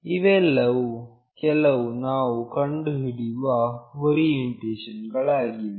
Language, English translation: Kannada, These are the few orientations that we will find out